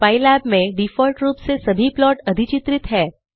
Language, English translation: Hindi, In pylab, by default all the plots are overlaid